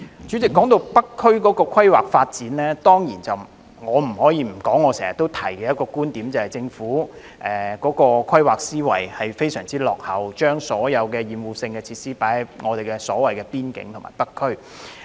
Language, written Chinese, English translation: Cantonese, 主席，談到北區的規劃發展，我必須重申我經常提出的一點，就是政府的規劃思維非常落後，將所有厭惡性設施設置在北區邊境地區。, President when it comes to the planning and development of the North District I must reiterate one point that I have often mentioned ie . the backward mindset of the Government in planning which has placed all offensive facilities in the border area of the North District